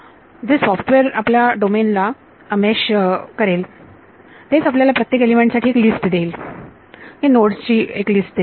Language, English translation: Marathi, The software which meshes the domain will give you a list of for each element it will give a list of nodes